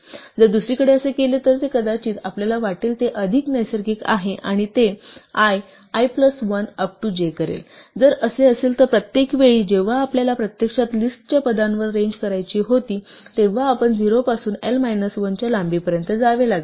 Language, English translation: Marathi, If on the other hand it did, what we would perhaps think is more natural and it will do i, i plus 1 up to j, if this were the case then every time when we wanted to actually range over the list positions, we would have to go from 0 to length of l minus 1